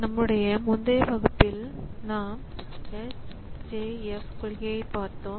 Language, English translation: Tamil, In our last class, we are looking into S